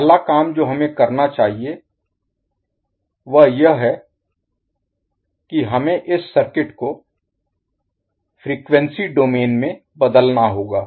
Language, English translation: Hindi, So the first task, what we have to do is that we have to convert this particular circuit into frequency domain